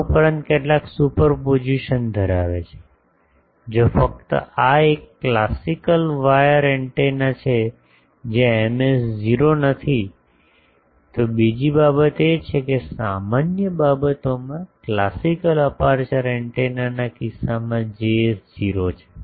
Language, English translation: Gujarati, Some plus some of these superposition holds if only one this is a classical wire antenna, where Ms is not 0; the other thing is this is Js is 0 in case of a classical aperture antenna in general everything